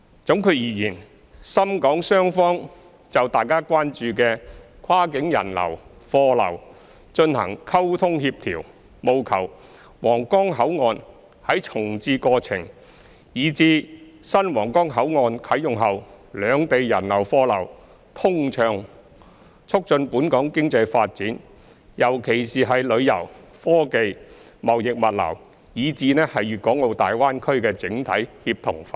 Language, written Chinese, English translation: Cantonese, 總括而言，深港雙方就大家關注的跨境人流、貨流進行溝通協調，務求皇崗口岸在重置過程，以至新皇崗口岸啟用後，兩地人流、貨流通暢，促進本港經濟發展，尤其是旅遊、科技、貿易物流，以至大灣區的整體協同發展。, In conclusion Shenzhen and Hong Kong have struck up communication and coordination regarding the cross - boundary flows of people and goods that Members are concerned about in a bid to ensure unobstructed people and cargo flows between both places and facilitate Hong Kongs economic development and even the synergistic development of the Greater Bay Area as a whole during the reprovisioning of Huanggang Port and even after the commencement of the new Huanggang Port